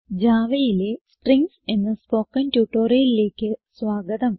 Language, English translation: Malayalam, Welcome to the spoken tutorial on Strings in Java